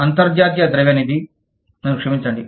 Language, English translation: Telugu, International Monetary Fund, i am sorry